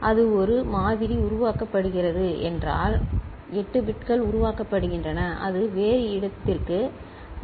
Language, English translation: Tamil, So, that is generated one sample means 8 bits are getting generated and it needs to be transmitted to some other place